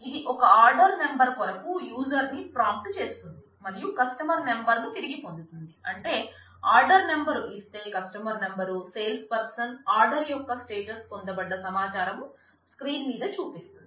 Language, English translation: Telugu, This is a program which will which prompts the user for an order number, and retrieves the customer number I mean given an order number it will retrieve the customer number, salesperson, status of the order and it will display that as the retrieved information on the screen